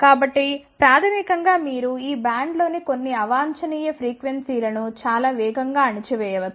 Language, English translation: Telugu, So, that means, basically you can actually attenuate certain undesired frequencies in this band very fast